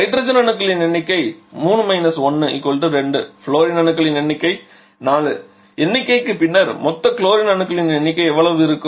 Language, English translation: Tamil, Number of hydrogen 3 1 that is equal to 2 number of fluorine is equal to 4, then total number of chlorine how much it will be